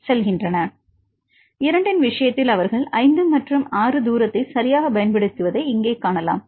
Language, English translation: Tamil, You can see the distance here they use the distance of 5 and 6 right for the case of 2